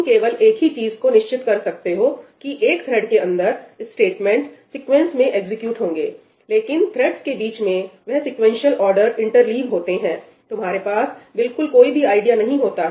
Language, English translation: Hindi, The only thing you can be sure about is that within one thread the statements got executed sequentially, but amongst threads in what order did those sequential orders get interleaved, you have absolutely no idea